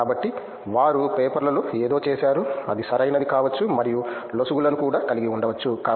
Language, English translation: Telugu, So, they have done something in the papers which may be correct and which may have like loopholes also